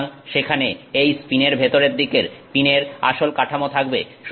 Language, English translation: Bengali, So, the original pin structure will be there towards the interior of this pin